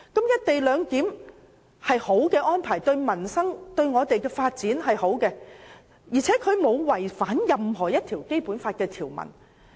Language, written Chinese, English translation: Cantonese, "一地兩檢"是一項好的安排，對我們的民生和發展均有裨益，而且它亦沒有違反《基本法》任何條文。, Well devised the co - location arrangement will bring benefit to both our livelihood and development and it does not contravene any provision of the Basic Law